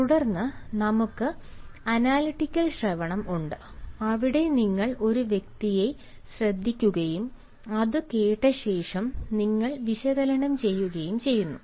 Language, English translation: Malayalam, and then we have analytical listening, where you listen to a person and, after listening to it, you analyse